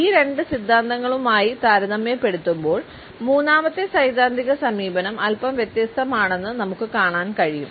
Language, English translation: Malayalam, In comparison to these two theories, we find that the third theoretical approach is slightly different